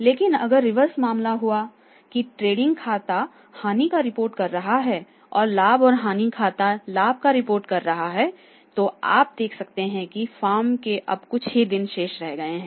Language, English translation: Hindi, But if the reverse is the case that the trading account is reporting a loss and net profit and loss account is reporting a profit then you can see that the days of the former member